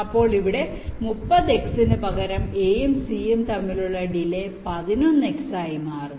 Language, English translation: Malayalam, so instead of thirty x here, the delay between a and c becomes eleven x